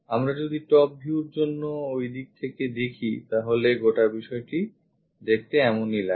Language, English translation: Bengali, For the top view; if we are looking from that direction this entirely looks like that